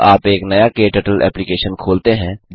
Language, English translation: Hindi, When you open a new KTurtle application